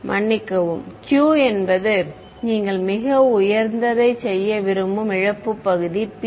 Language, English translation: Tamil, Sorry q is what you want to make very high right the loss part may not p